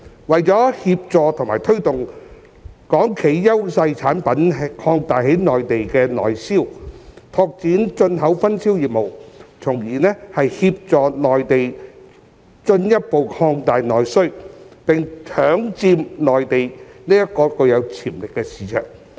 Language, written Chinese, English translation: Cantonese, 為了協助和推動港企優勢產品擴大在內地的內銷、拓展進口分銷業務，從而協助內地進一步擴大內需，並搶佔內地這個具有潛力的市場。, The authorities should help and motivate Hong Kong enterprises to expand the sale of their products with competitive advantage to the Mainland and develop importation and distribution business so as to assist the Mainland in further expanding its domestic demand and grab a share of the Mainland market with huge potential